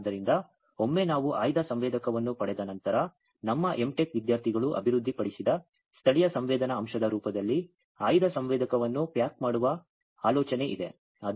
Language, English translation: Kannada, So, once we get the selective sensor then the idea is to pack the selective sensor in the form of indigenous sensing element, that was developed by our M Tech students